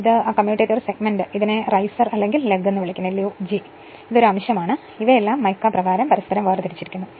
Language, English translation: Malayalam, And this is that commutator segment right and this is called riser or lug and this is a segment and they are all insulated separated from each other by mica say